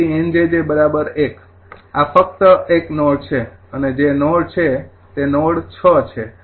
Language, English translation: Gujarati, so nj j is equal to one, this is only one node